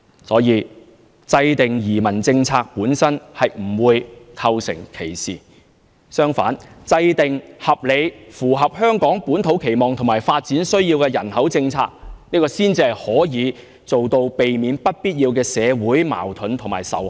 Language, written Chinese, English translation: Cantonese, 所以，制訂移民政策本身並不會構成歧視，相反，制訂合理、符合香港本土期望和發展需要的人口政策，這才能避免出現不必要的社會矛盾和仇恨。, For that reason the formulation of immigration policies will not constitute discrimination . Quite the contrary the formulation of a population policy which is reasonable and which can meet the local expectation as well as the development needs will avoid unnecessary social conflicts and hatreds